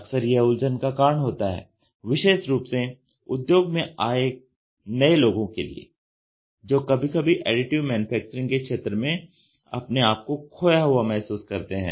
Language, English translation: Hindi, Often this is one reason why newcomers to the industry in particular sometimes feel lost in the field of Additive Manufacturing